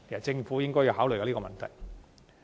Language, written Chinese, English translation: Cantonese, 政府應考慮這個問題。, The Government should think about this issue